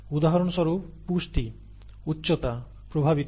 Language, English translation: Bengali, For example nutrition affects height